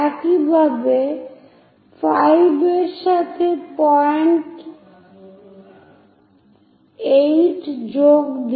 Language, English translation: Bengali, Similarly, join 5th one to point 8